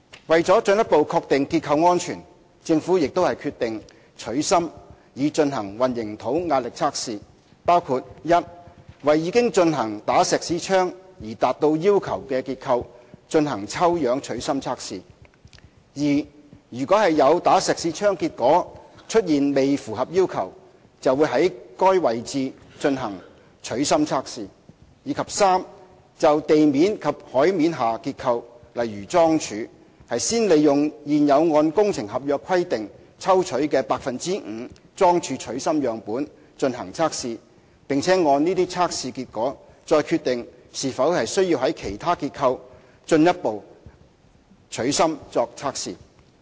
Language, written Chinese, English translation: Cantonese, 為了進一步確定結構安全，政府亦決定"取芯"以進行混凝土壓力測試，包括：一為已經進行"打石屎槍"而達到要求的結構進行抽樣"取芯"測試；二如果有"打石屎槍"結果出現未符合要求，會在該位置進行取芯測試；及三就地面及海面下結構，先利用現有按工程合約規定抽取的 5% 的樁柱取芯樣本進行測試，並按這些測試結果，再決定是否需要在其他結構進一步取芯作測試。, To further ensure structural safety the Government has decided to carry out concrete stress tests on core samples including 1 to conduct sampled core tests on structures which have undergone Schmidt Hammer Tests; 2 to conduct core tests at locations which fail the Schmidt Hammer Tests; and 3 for structures constructed underground or below sea - level to conduct core tests on the 5 % of bored piles sampled in accordance with existing works contracts and subject to the results of these tests to consider whether further core tests on other structures will be required